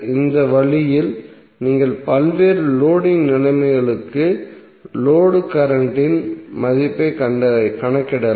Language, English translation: Tamil, So in this way you can calculate the value of the load current for various Loading conditions